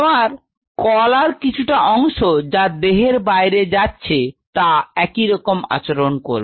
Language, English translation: Bengali, So, part of my tissue which is going outside should exactly behave the same way